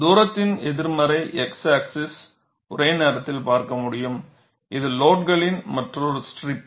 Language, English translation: Tamil, I can also look at simultaneously on the negative x axis at distance s, another strip of load